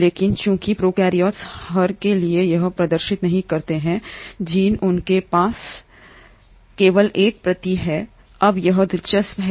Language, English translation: Hindi, But since the prokaryotes do not exhibit that, for every gene they have only one copy, now that is interesting